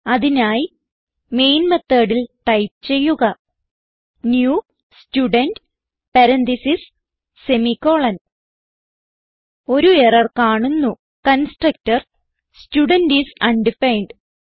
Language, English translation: Malayalam, So in main method type new Student parentheses semi colon We see an error, it states that constructor Student is undefined